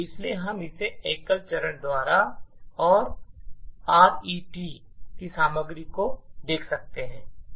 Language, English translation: Hindi, So, we can see this happening by single stepping and looking at the contents of RET